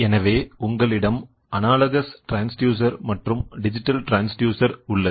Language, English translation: Tamil, So, you also have analogous transducer and digital transducer